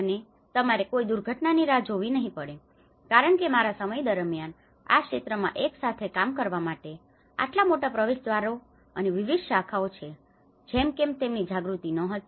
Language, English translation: Gujarati, And because unless you may have to wait for a disaster because there is not much of awareness during my time whether this field has such a large gateways and different disciplines to work together